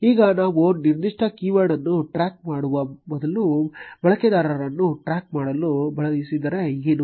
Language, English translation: Kannada, Now, what if we wanted to track a user instead of tracking a particular keyword